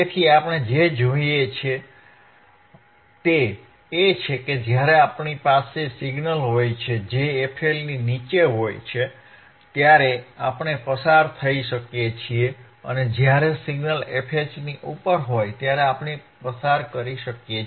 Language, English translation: Gujarati, So, what we see is, when we have signals which are below f L, we cannot we can pass, when the signals are above f H we can pass